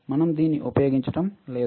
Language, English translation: Telugu, We are not using it